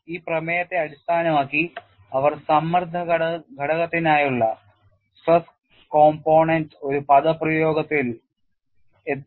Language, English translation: Malayalam, Based on this premise, they have arrived at an expression for stress component